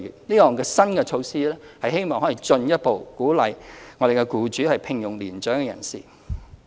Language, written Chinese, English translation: Cantonese, 這項新措施希望可進一步鼓勵僱主聘用年長人士。, Hopefully this measure will further incentivize employers to employ mature persons